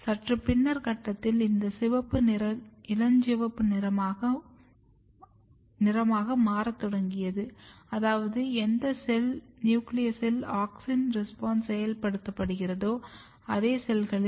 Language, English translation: Tamil, At slightly later stage the color of this red started turning to the pink which means that in the same cells where in the nucleus of the cells auxin responses are getting activated